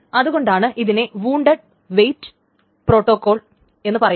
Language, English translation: Malayalam, So that is why it calls the wound weight protocol